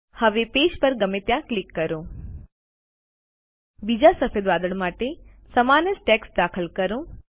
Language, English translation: Gujarati, Now click anywhere on the page Let us enter the same text for the other white cloud, too